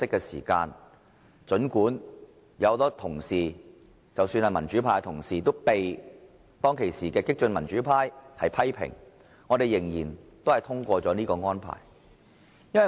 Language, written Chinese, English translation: Cantonese, 因此，儘管民主派同事被激進的民主派批評，我們仍然通過這項安排。, Therefore despite criticisms from fellow Members from the progressive democratic camp we pro - democracy Members still endorsed the arrangement